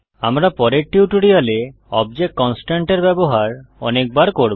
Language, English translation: Bengali, We will be using object constraints many times in later tutorials